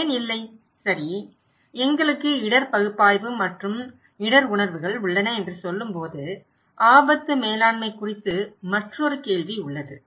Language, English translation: Tamil, Why no, when we are saying that okay we have risk analysis and risk perceptions, there is another question is looking into risk management